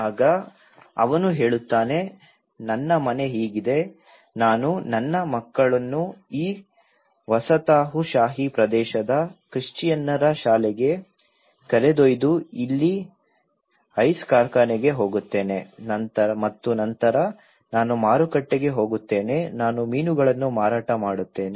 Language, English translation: Kannada, Then he says my house is like this I took my children to the school in the Christian this colonial area and then I go to the ice factory here, and then I go to the market and sell the fish I go to the harbour